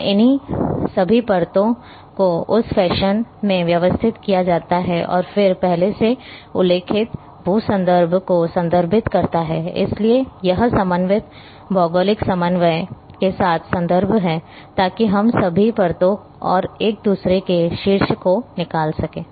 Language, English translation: Hindi, And all these layers are organized in that fashion and then referenced the geo reference I have mentioned already, so it is reference with the coordinate geographic coordinate, so that we can extract all layers and top of each other